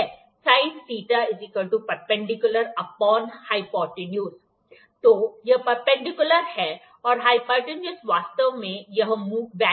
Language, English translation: Hindi, So, this is perpendicular and hypotenuse is actually this value